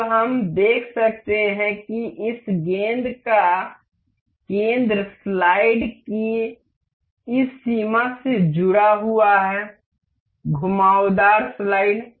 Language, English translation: Hindi, Now, we can see that the center of this ball is aligned to this spline of the slide; curved slide